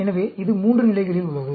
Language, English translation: Tamil, So, it is at 3 levels